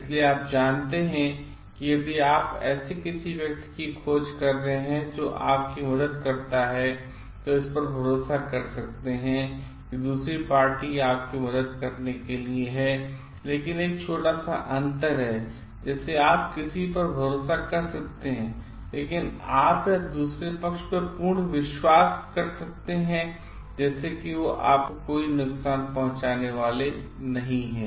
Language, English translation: Hindi, So, you know like if you are extending like your search for someone who can help you, so you can rely that the other party is there to help you, but there is a small difference like you can rely on someone, but you may or may not have total confidence in the other that party like they are not going to harm you